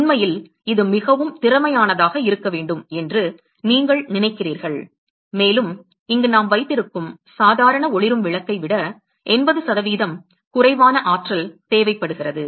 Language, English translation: Tamil, In fact, you suppose to have it is suppose to be very efficient and it takes about 80% lesser energy than the normal incandescent lamp that we have here